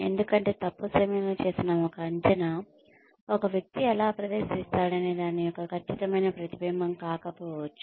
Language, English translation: Telugu, Because the, an appraisal done at the wrong time, may not be an accurate reflection, of how a person has performed